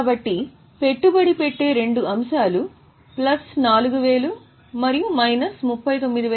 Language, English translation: Telugu, So, two item in investing plus 4,000 and minus 39, 600